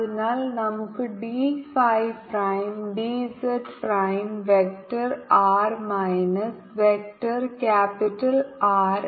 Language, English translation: Malayalam, so we we can write d phi prime, d j prime, vector r minus vector capital r